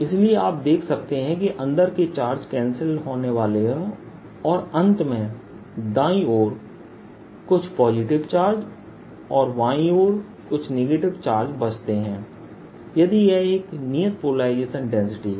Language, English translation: Hindi, i am finally going to be left with some positive charge on the right and negative charge on the left if this is a constant polarization density